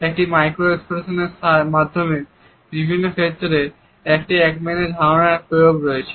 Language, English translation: Bengali, Through a micro expression, Ekmans idea has potential applications in various fields